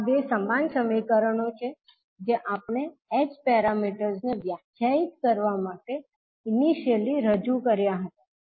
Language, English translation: Gujarati, So these two are the same equations which we represented initially to define the h parameters